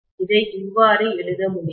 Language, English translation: Tamil, This can go like this